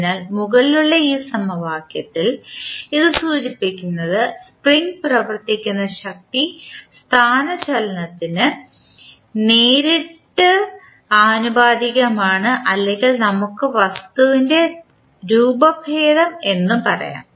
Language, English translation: Malayalam, So, in this above equation it implies that the force acting on the spring is directly proportional to displacement or we can say the deformation of the thing